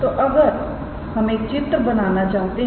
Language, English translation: Hindi, So, if we want to draw a figure